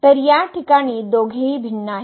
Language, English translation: Marathi, So, both are different in this case